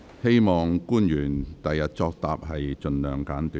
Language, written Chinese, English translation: Cantonese, 希望官員作答時能盡量精簡。, I hope government officials will be as concise as possible in giving replies